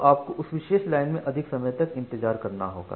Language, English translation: Hindi, So, you have to wait for more amount of time in that particular line